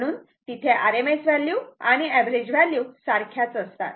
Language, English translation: Marathi, So, that the average and the rms values are the same right